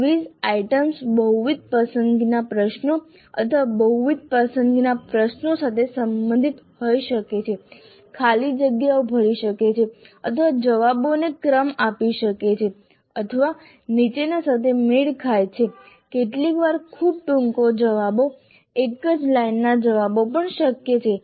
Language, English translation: Gujarati, The quiz items can belong to multiple choice questions or multiple select questions, fill in the blanks or rank order the responses or match the following, sometimes even very short answers, one single line kind of answers are also possible